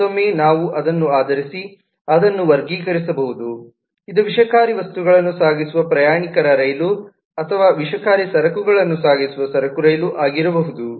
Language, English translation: Kannada, again, if we do based on this, then we can sub classify that is it a passenger train which carries toxic goods or is it a goods train which carries toxic goods